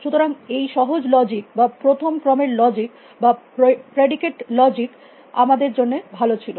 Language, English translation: Bengali, But, the simpler logic or first order logic are predicate logic is good enough for us